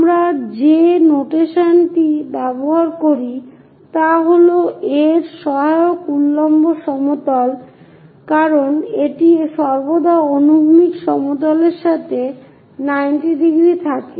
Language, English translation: Bengali, The notation what we use is its auxiliary vertical plane because it is always be 90 degrees with the horizontal plane